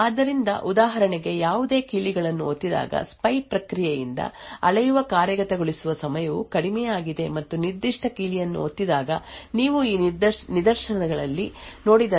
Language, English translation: Kannada, So, for example when no keys are pressed the execution time which is measured by the spy process is low and when a particular key is pressed then we see an increase in the execution time as you see in these instances